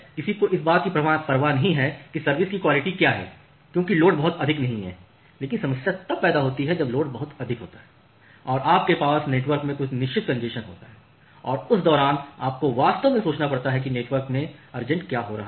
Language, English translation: Hindi, So, no one cares about what is the quality of service because the load is not very high, but the problem starts occurring when the load is very high and you have certain congestion in the network and during that time you have to really think of that what is happening inside network